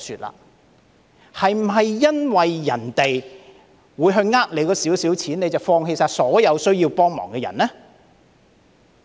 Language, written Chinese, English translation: Cantonese, 是否因為有人會欺騙那一點錢，當局便放棄幫助所有需要幫助的人呢？, Does it mean that the authorities should give up helping all those in need just because some people will cheat them out of a little money?